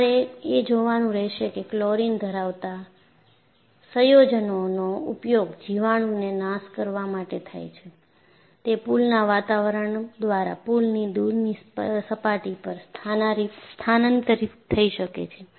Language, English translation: Gujarati, So, what you will have to look at is, the chlorine containing compounds, which are used for disinfection, may transfer via the pool atmosphere to surfaces remote from the pool itself